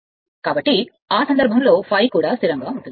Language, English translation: Telugu, So, in that case phi is also constant